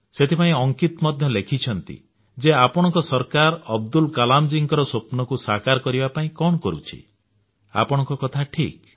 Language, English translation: Odia, And that's why Ankit asks me… What is your government doing to ensure that Abdul Kalamji's dreams come true